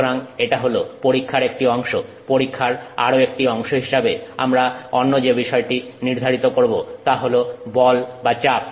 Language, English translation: Bengali, We also, as part of the test, so that is one part of the test, the other thing that we specify is the force or the pressure